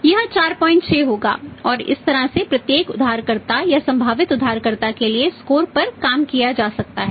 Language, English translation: Hindi, 6 and this way the score for every, every borrow or the potential borrower can be worked out